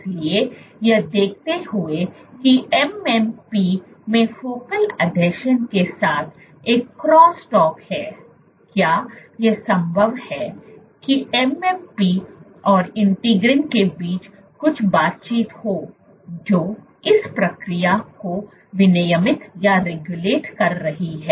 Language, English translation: Hindi, So, given that MMPs have a cross talk with focal adhesion is it possible that there is some interaction between MMPs and integrins which is regulating this process